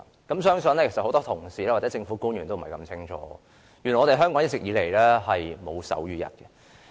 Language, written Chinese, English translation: Cantonese, 我相信很多同事或政府官員皆不知道原來香港一直以來並沒有手語日。, I do not think many Members or government officials are aware that there was not any sign language day in Hong Kong before that